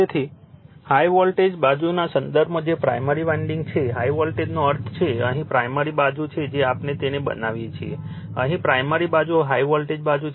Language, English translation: Gujarati, Therefore, in terms of high voltage side that is a primary winding, right, high voltage means here primary side the way we are made it, right here you are primary side is the high voltage side, right